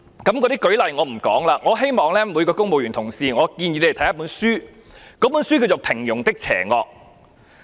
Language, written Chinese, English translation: Cantonese, 例子我不說了，我希望每位公務員同事都看我建議的一本書，書名是《平庸的邪惡》。, I do not quote examples . I hope that each and every colleague in the civil service reads a book that I recommend entitled The Banality of Evil